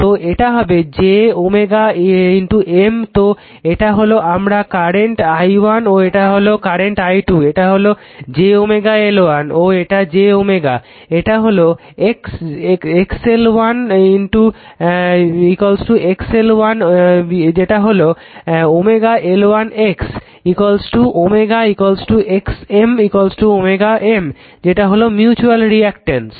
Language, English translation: Bengali, So, it will be j into omega M and this is my yourI current i1 this is i 2 and this is j omega L 1 right and this is your j omega L 2 this is x l 1 x l 2 right x L 1 is omega L 1 x, L 2 is omega L 2 and x M is equal to w M that is the mutual reactance right